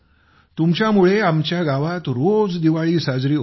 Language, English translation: Marathi, Sir, Diwali is celebrated every day in our village because of you